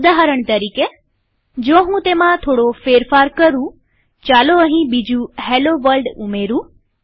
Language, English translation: Gujarati, For example, if I modify it, let me add another hello world here